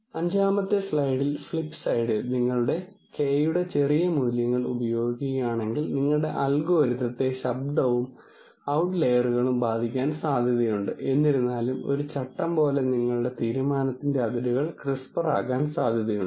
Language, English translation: Malayalam, On the fifth slide, flipside, if you use smaller values of k then your algorithm is likely to be affected by noise and outliers, however, your decision boundaries as a rule of thumb are likely to become crisper